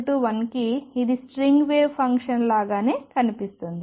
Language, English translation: Telugu, For n equal to 1 it looks exactly the same as a string wave function